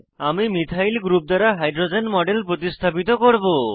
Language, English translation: Bengali, We will substitute the hydrogen in the model with a methyl group